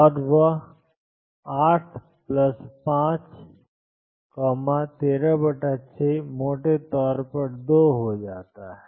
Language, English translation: Hindi, And that comes out to be 8 plus 5, 13 over 6 roughly 2